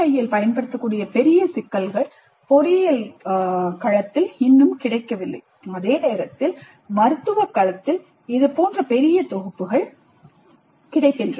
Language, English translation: Tamil, Large sets of problems which can be used in PBI are not yet available in engineering domain while such large sets are available in the medical domain